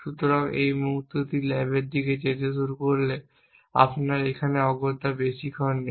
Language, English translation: Bengali, So, the moment is start going towards the lab your are no long a here essentially